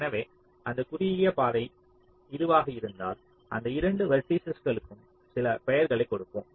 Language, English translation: Tamil, so if the shortest path is this, lets give these to vertices some name